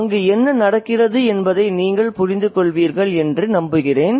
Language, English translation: Tamil, So I hope you understand what's going on there